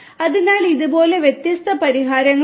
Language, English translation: Malayalam, So, like this there are different solutions that are there